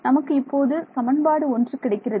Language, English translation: Tamil, So, equation 1 it becomes